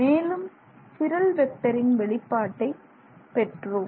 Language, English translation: Tamil, So, what is the chiral vector here